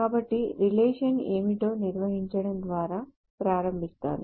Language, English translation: Telugu, So, let me start off by defining what a relation is